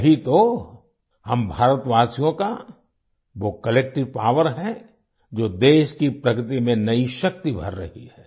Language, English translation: Hindi, This is the collective power of the people of India, which is instilling new strength in the progress of the country